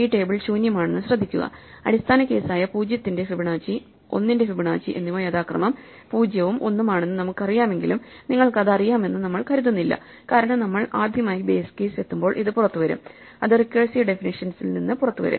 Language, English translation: Malayalam, And notice that this table is empty, even though we know the base case of Fibonacci of 0 and Fibonacci of 1 are 0 and 1 respectively, we do not assume you know it, because it will come out as the first time we hit the base case it will come out of the recursive definition